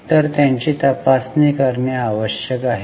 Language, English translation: Marathi, So, they need to be checked